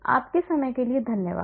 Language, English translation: Hindi, Thanks very much for your time